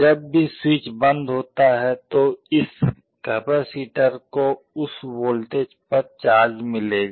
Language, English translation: Hindi, Whenever the switch is closed this capacitor will get charge to that voltage